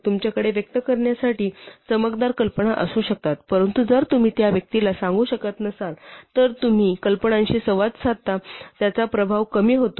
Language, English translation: Marathi, You may have brilliant ideas to express, but if you cannot convey them to the person you are talking to the ideas lose their impact